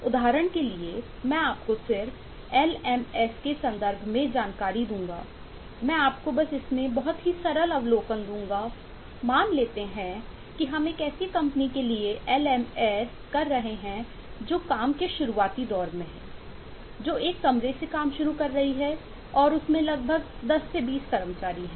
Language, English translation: Hindi, let us i shown that we are doing a lms for a company which works, which is start up, works out of a single room and has about 10 to 20 employees